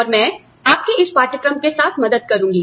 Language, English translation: Hindi, And, I will be helping you, with this course